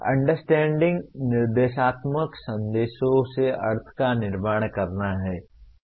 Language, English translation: Hindi, Understanding is constructing meaning from instructional messages